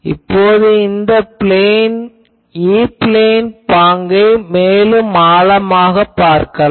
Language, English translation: Tamil, Now, let us now look more closely this E plane pattern